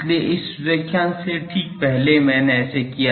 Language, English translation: Hindi, So, just before this lecture I did